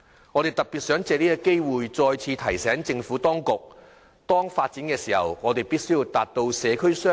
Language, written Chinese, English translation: Cantonese, 我特別藉此機會再次提醒政府當局，發展與社區設施必須達致雙贏。, I would take this opportunity to remind the Administration once again that housing and community facilities should be developed together to achieve a win - win situation